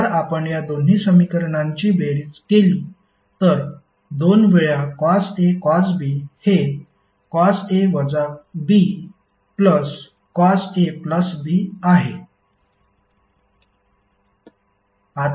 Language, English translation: Marathi, So if you sum up these two equations what you will get, two times cos A cos B is nothing but cos A minus B plus Cos A plus B